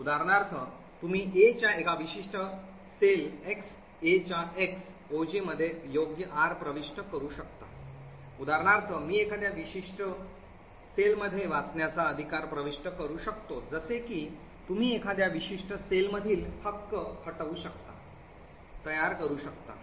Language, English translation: Marathi, For example you can enter a right R into a particular cell A of X SI, A of X OJ, for example I can enter a right to read in a particular cell such as this, similarly you can delete a right from a particular cell, create subject, create object, destroy subject and destroy object, now based on this mechanism